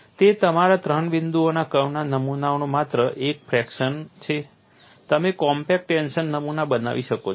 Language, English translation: Gujarati, It is only a fraction of your three point bend specimen; you can make a compact tension specimen